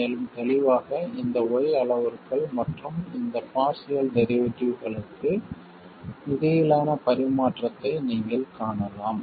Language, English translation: Tamil, And clearly you can see the correspondence between these Y parameters and these partial derivatives